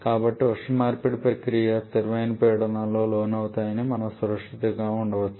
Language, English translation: Telugu, So, we can safely assume the heat exchange processes to be at constant pressure